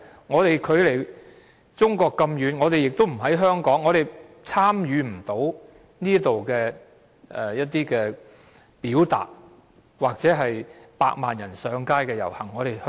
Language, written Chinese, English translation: Cantonese, 我們當時距離中國這麼遠，不在香港，無法參與這裏的活動或百萬人上街的遊行。, Since we were so far away from China we could not participate in the activities or protests in Hong Kong in which 1 million people attended